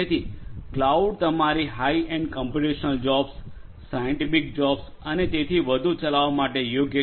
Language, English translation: Gujarati, So, cloud is suitable for number of things, for running your high end computational jobs, scientific jobs and so on